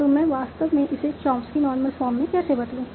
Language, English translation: Hindi, So how do I actually convert this to Chomsky Normal Form